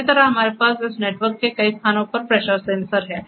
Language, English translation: Hindi, Likewise we have the pressure sensors at many locations of this network